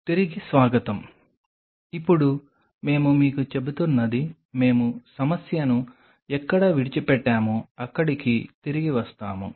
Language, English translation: Telugu, Welcome back, what we are telling you is now coming back where we left the problem